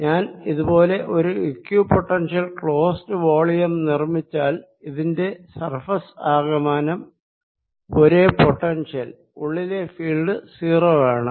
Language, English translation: Malayalam, so this is very similar to that, that if i create a equipotential, a close volume who's surface all is at the same potential, then the field inside will be zero